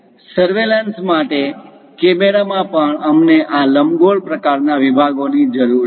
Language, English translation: Gujarati, For surveillance, cameras also we require this elliptical kind of sections